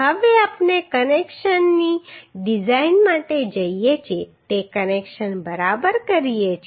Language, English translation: Gujarati, Now we do the connections we go for the design of connection ok